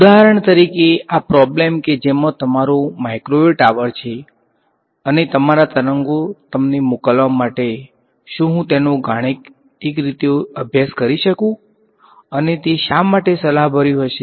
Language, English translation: Gujarati, For example to this problem which is which has your microwave, tower and sending your waves to you can I study it mathematically and why would that be of interest